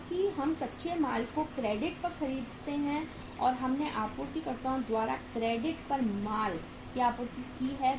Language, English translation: Hindi, Because we buy raw material on credit or we have supplied the raw material on credit by suppliers